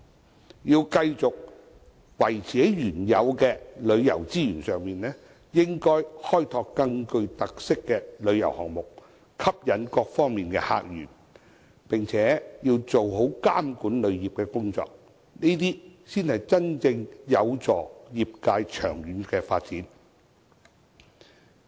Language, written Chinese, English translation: Cantonese, 我們既要維持原有的旅遊資源，亦應該開拓更具特色的旅遊項目，吸引各方面的客源，並且做好監管旅遊業的工作，才能真正有助業界的長遠發展。, While maintaining our existing tourism resources we should also develop more tourism projects with special features to attract visitors from different sources and do a good job in regulating the tourism industry so as to truly facilitate the long - term development of the industry